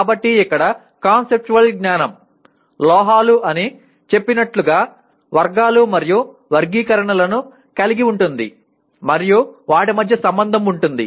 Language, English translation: Telugu, So here conceptual knowledge will include categories and classifications like we said metals and the relationship between and among them